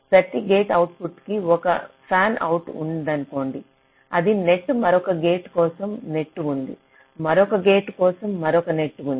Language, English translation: Telugu, you say that if there is a fanout, that is a net for another gate, there is a net for another gate, there is another net